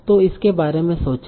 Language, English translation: Hindi, So think about it